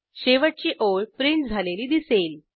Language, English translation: Marathi, We see that the last line is printed